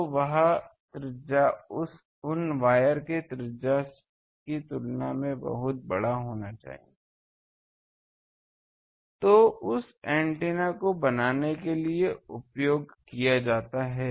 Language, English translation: Hindi, So, that radius is much should be much larger than the radius of the wires which are used to make that antenna